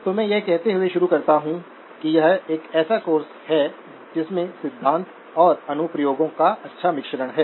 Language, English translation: Hindi, So let me start by saying that this is a course that has a good blend of theory and applications